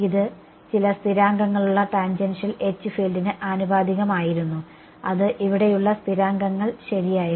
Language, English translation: Malayalam, It was proportional to the tangential H tangential H field with some constants it was constants over here right correct